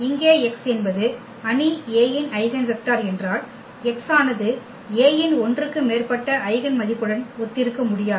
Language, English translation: Tamil, Here if x is the eigenvector of the matrix A, then x cannot correspond to more than one eigenvalue of A